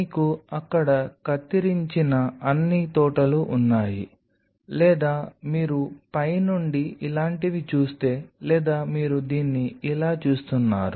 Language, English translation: Telugu, So, you have all the groves which are cut there or if you see it from the top something like this, or you were seeing it like this